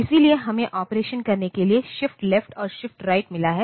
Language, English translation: Hindi, So, we have got shift left and shift right for doing the operation